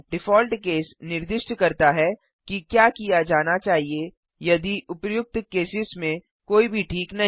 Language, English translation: Hindi, Default case specifies what needs to be done if none of the above cases are satisfied